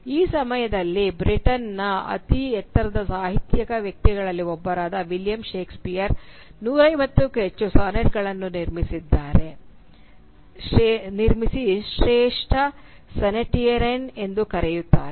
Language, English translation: Kannada, And which is why one of the tallest literary figures of Britain at that point of time, William Shakespeare is also known as a great sonneteer who produced more than 150 Sonnets